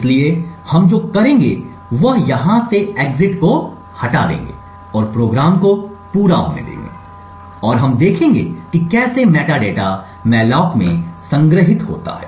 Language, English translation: Hindi, So, what we will do is remove the exit from here and let the program run to completion and we would see how the metadata stored in the malloc changes